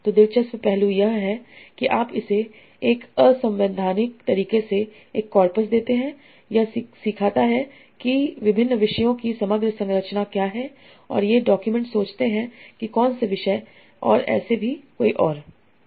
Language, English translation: Hindi, So the interesting aspect is that you give it a coppers and in an unsupervised manner it learns what is the overall structure of different topics and which document concerns which topics and so on